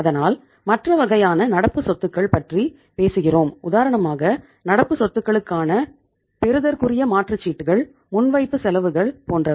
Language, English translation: Tamil, So next you talk about the other current assets for example we have other current assets like bills receivables, prepaid expenses